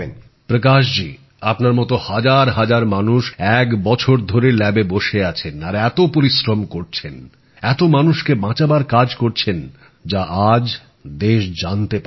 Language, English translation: Bengali, Prakash ji, thousands of people like you have been stationed in the labs for the last one year and have been doing such arduous work, saving innumerable people, about which the nation is getting to know today